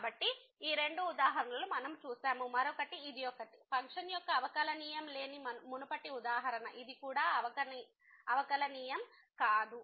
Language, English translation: Telugu, So, we have seen these two examples the other one was this one, the previous example where the function was not differentiable, this is also not differentiable